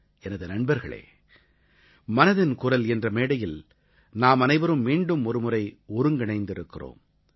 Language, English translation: Tamil, Friends, we have come together, once again, on the dais of Mann Ki Baat